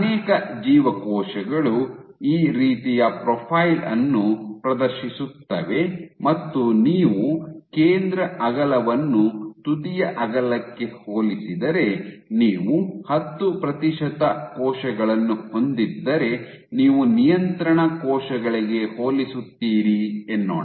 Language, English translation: Kannada, So, many of the cells exhibit a profile like this, where the center if you compare the central width to the end width, You would have compared to control cells if you had 10 percent of cells